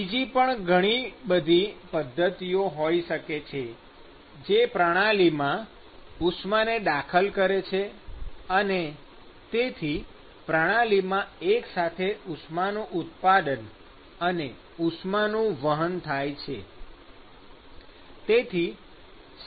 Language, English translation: Gujarati, So, there could be many different mechanisms by which heat is actually being introduced into a system, and so, there is a simultaneous heat generation and heat transport